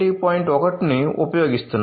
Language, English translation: Telugu, 1, it does not support 1